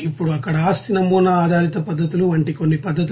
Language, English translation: Telugu, Now some methods like you know property model based methods there